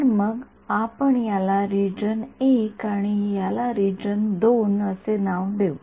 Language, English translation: Marathi, So, in let us call this region I and let us call this region II